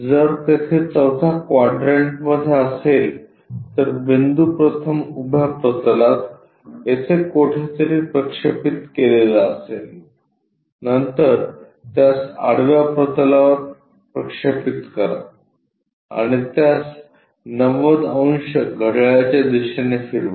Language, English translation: Marathi, If it is fourth quadrant there also first the point projected onto vertical plane somewhere here, then project it on to horizontal plane rotate it by 90 degrees clockwise